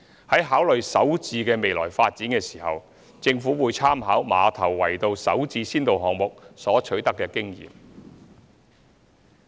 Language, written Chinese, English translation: Cantonese, 在考慮"首置"的未來發展時，政府會參考馬頭圍道"首置"先導項目所取得的經驗。, The Government will draw reference from the experience of the SH pilot project at Ma Tau Wai Road in considering the future development of SH